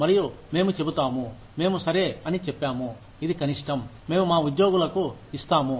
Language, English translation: Telugu, And, we draw, we say okay, this is the minimum, that we will give to our employees